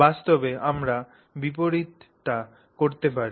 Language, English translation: Bengali, So, in reality we could do the opposite